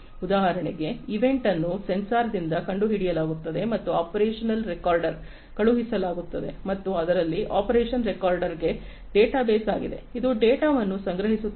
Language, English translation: Kannada, For example, an event is detected by a sensor and sent to the operational recorder and an operational recorder in it is a database, which stores the data